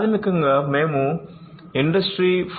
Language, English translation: Telugu, So, basically we were talking about Industry 4